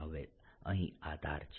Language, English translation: Gujarati, now there have this edges out here